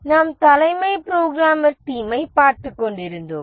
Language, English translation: Tamil, We were looking at the chief programmer team